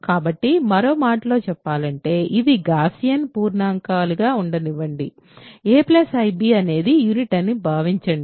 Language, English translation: Telugu, So, in other words let it be a Gaussian integer, assume that a plus ib is a unit ok